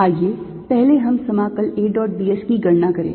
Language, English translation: Hindi, let us first calculate the integral a dot d s